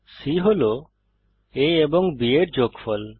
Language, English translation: Bengali, c holds the sum of a and b